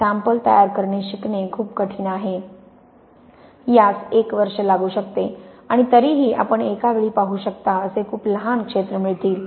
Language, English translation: Marathi, it is very difficult to learn the specimen preparation like a year and even then you get really only very small areas you can see at one time